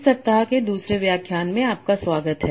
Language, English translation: Hindi, So, welcome back for the second lecture of this week